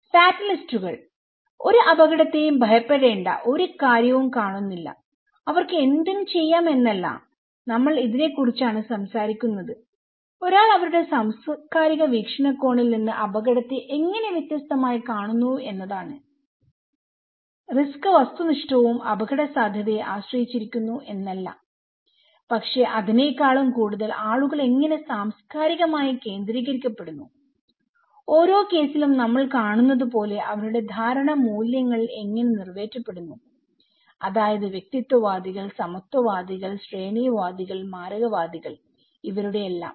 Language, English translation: Malayalam, Fatalists; don’t see the point of fearing any risk, it’s not like they can do anything about them so, we are talking about this that how one see different way of looking at the risk from their cultural perspective so, it is not that risk is objective and his hazard dependent but it is more that how people are culturally when oriented, how their perception values are met as we see in each cases; individuals, egalitarian, hierarchists and fatalists